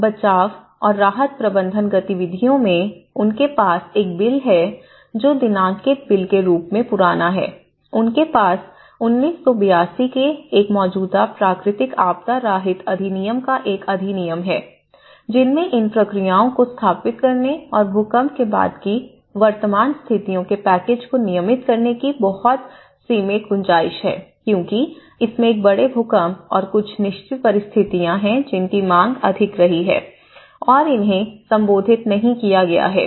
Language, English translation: Hindi, Now, in the rescue and relief management activities, they have a bill which has been as old as a dated bill of, they have an act of an existing Natural Calamity Relief Act, of 1982 which has a very limited scope in establishing these procedures and also the packages of the present conditions of the post earthquake because it has one of the major earthquake and there are certain situations which has not been addressed and the demand has been high